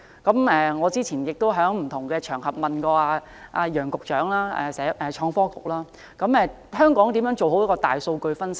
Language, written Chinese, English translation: Cantonese, 我過去在不同的場合中，詢問創新及科技局局長楊偉雄，香港如何做好大數據分析。, On many occasions I have asked Nicholas YANG the Secretary for Innovation and Technology how Hong Kong can properly analyse big data